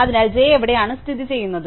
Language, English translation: Malayalam, So, where is j located